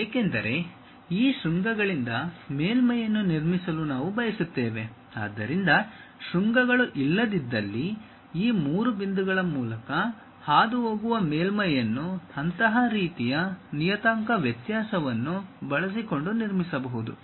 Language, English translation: Kannada, Because, we want to construct surface from these vertices; so, once vertices are not, a surface which pass through these three points can be constructed using such kind of parametric variation